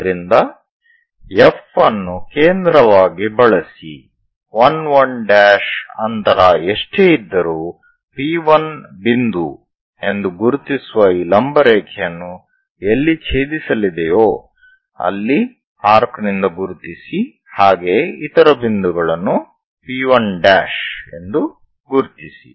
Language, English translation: Kannada, So, use F as center whatever the distance 1 1 prime cut this one, so that where it is going to intersect this perpendicular line that mark as P 1 point similarly mark other point as P 1 prime